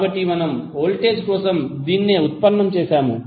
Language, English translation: Telugu, So that is what we have derived for voltage